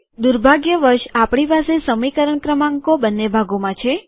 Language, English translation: Gujarati, Unfortunately we have equation numbers in both parts